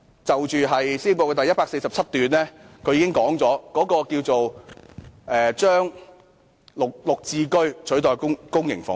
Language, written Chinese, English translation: Cantonese, 施政報告第147段已經說明"應以更多的'綠置居'取代出租公屋"。, Paragraph 147 of the Policy Address already states that our future public housing developments should include more GSH units